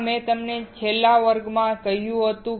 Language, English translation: Gujarati, This what I had told you in the last class